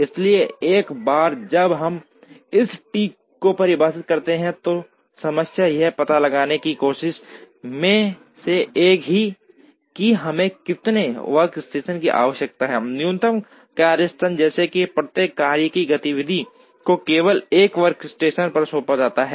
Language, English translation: Hindi, So, once we define this T, the problem is one of trying to find out, how many workstations we require minimum workstations such that, each task or activity is assigned to only 1 workstation